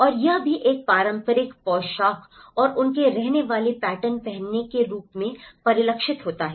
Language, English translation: Hindi, And also it is reflected in terms of their wearing a traditional dress and their living patterns